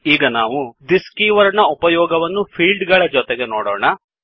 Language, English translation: Kannada, Now we will see the use of this keyword with fields